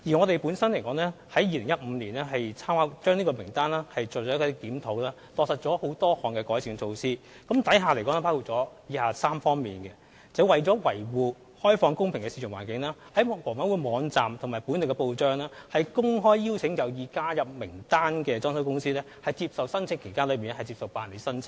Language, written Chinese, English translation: Cantonese, 當局在2015年對參考名單作出檢討後，落實了多項改善措施，當中包括以下3方面：為了維護開放公平的市場環境，房委會在其網站及本地報章，公開邀請有意加入參考名單的裝修公司，在指定時間內提出申請。, After reviewing the Reference List in 2015 the authorities implemented many improvement measures covering the following three aspects to uphold an open and fair market environment HA issued an open invitation on its website and in the press to decoration companies intending to be included in the Reference List to submit applications during the specified invitation period